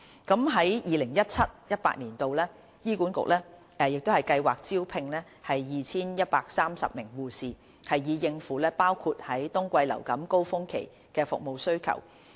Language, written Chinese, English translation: Cantonese, 在 2017-2018 年度，醫管局計劃招聘 2,130 名護士，以應付包括在冬季流感高峰期的服務需求。, HA plans to recruit 2 130 nurses in 2017 - 2018 to meet service demand including that arises during the influenza winter surge